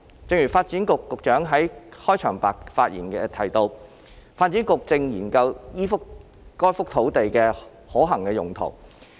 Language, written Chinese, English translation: Cantonese, 正如發展局局長在其開場發言亦提到，發展局正研究該幅土地的可行用途。, As the Secretary for Development has mentioned in his opening remarks the Development Bureau is studying the possible uses of this piece of land